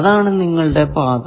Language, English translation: Malayalam, What are the paths